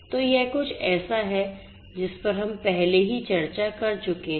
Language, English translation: Hindi, So, this is something that we have already discussed